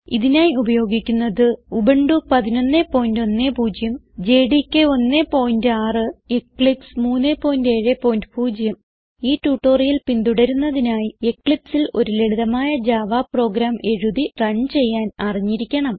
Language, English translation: Malayalam, For this tutorial we are using Ubuntu 11.10, JDK 1.6 and Eclipse 3.7.0 To follow this tutorial, you must know how to write and run a simple java program in Eclipse